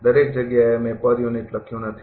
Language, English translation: Gujarati, Everywhere I have not written per unit